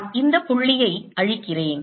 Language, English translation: Tamil, let me erase this point